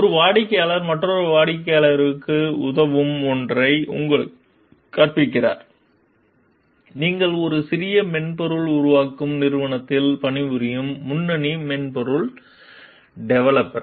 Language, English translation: Tamil, One client teaches you something that would help another client, you are the lead software developer working for a small software developing company